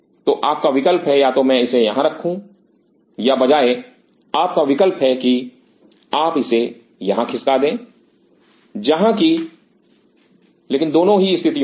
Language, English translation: Hindi, So, your option is either I keep it here or your rather option is that you shift it here where, but in both the cases